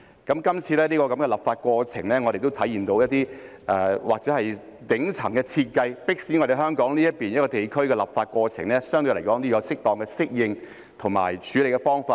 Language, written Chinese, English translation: Cantonese, 今次的立法過程亦體現到一些或許是頂層的設計，迫使香港這個地區的立法過程相對來說要有適當的適應及處理方法。, This legislative exercise has also reflected that due to some designs probably made by the top echelon Hong Kong is forced to come up with ways for its legislative procedures to appropriately adapt to and deal with them